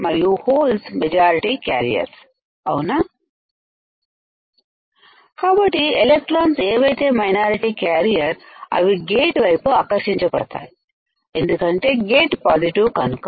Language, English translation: Telugu, So, the minority carrier which are electrons will get attracted towards the gate, because gate is positive